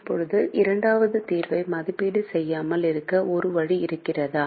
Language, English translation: Tamil, now is there a way not to evaluate the second solution